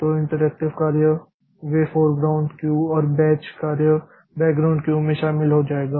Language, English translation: Hindi, So, so interactive jobs so they will join the foreground queue and this the bad job so they will join the background queue